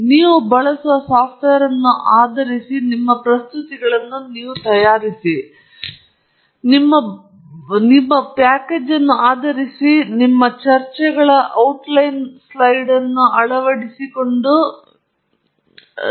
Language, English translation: Kannada, And based on the software you use, based on the package you use for making your presentations, there are different ways in which you can incorporate or put in your outline slide with the rest of your talk